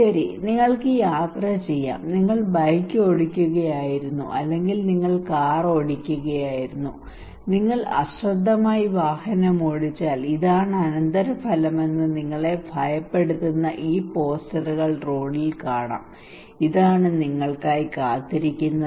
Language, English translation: Malayalam, Okay that you can you are travelling you were riding bike, or you were riding car you can see on roads that these posters that is alarming you that if you do rash driving this is the consequence, this is the result is waiting for you so be careful okay